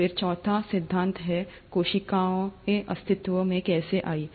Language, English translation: Hindi, Then the fourth theory is, ‘how did cells come into existence’